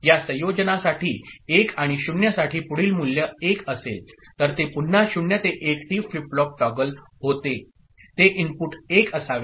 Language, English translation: Marathi, For this combination 1 and 0, next value is 1, so that is again 0 to 1 T flip flop toggles, that is input should be 1